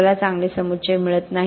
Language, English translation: Marathi, We are not getting good aggregates